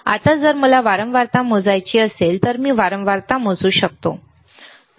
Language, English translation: Marathi, Now, if I want to measure the frequency, can I measure the frequency, right